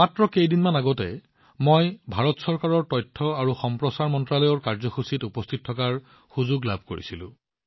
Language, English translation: Assamese, Just a few days ago, I got an opportunity to attend a program of Ministry of Information and Broadcasting, Government of India